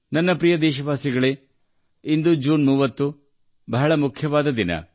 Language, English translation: Kannada, My dear countrymen, today, the 30th of June is a very important day